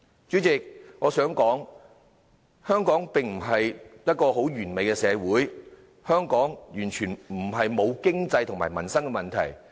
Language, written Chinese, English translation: Cantonese, 主席，我想說香港並非一個完美的社會，香港並非完全沒有經濟和民生的問題。, President what I want to say is that Hong Kong is not a perfect society that is not plagued by any economic and livelihood problems